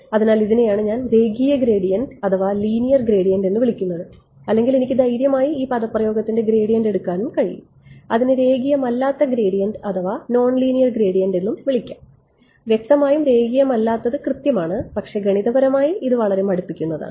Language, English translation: Malayalam, So, this is what I call the linear gradient or I can be brave and take a gradient of this expression and that will be called a non linear gradient; obviously, non linear is exact, but it's computationally very tedious